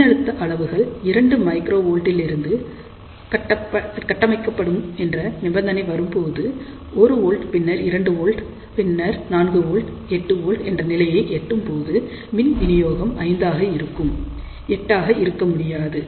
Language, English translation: Tamil, A condition comes when the voltage levels will get built up from, let us say microvolt level 2, let us say 1 volt, then 2 volt, then 4 volt, 8 volt, but now we have to stop here it cannot become 8 volt suppose, if the power supply is equal to 5